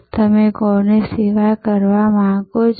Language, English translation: Gujarati, Who are you serving